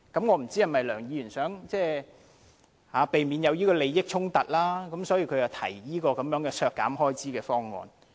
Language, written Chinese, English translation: Cantonese, 我不知道梁議員是否想避免出現利益衝突，所以提出削減這筆開支的修正案。, I do not know if it is true that Mr LEUNG wants to propose the amendments on cutting the relevant expenditure in order to avoid potential conflict of interests